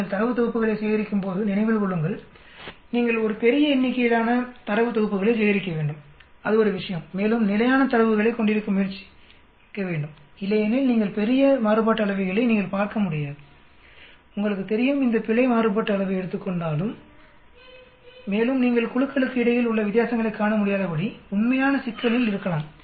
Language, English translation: Tamil, When you collect data sets, remember, you need to collect large number of data sets that is one thing and try to have more consistent data otherwise if you are going to have large variations you will not able to see between group variations at all, you know these error variance may take over and you could be in real problem of not able to see differences in the between group